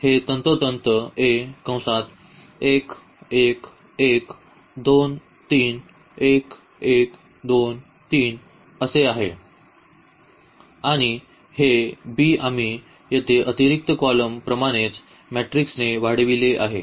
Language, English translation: Marathi, So, this is precisely the A 1 1 1 2 3 1 and 1 2 3 and this b we have augmented here with the same matrix as extra column